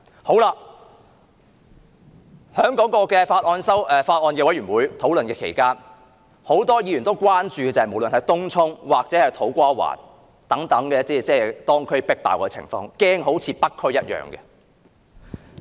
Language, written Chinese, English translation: Cantonese, 在法案委員會討論期間，很多委員關注東涌或土瓜灣等地旅客"迫爆"的情況，擔心該等地區會成為另一個北區。, During the discussions at the Bills Committee many members expressed concerns about the overcrowded situations in Tung Chung and To Kwa Wan as well as their worries that the districts might become another North District